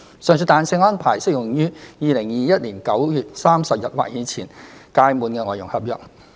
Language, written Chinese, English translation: Cantonese, 上述彈性安排適用於2021年9月30日或之前屆滿的外傭合約。, The above flexibility arrangement applies to FDH contracts expiring on or before 30 September 2021